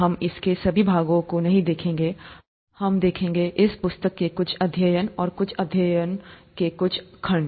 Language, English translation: Hindi, We will not be looking at all parts of it; we’ll be looking at some chapters and some sections of some chapters in this book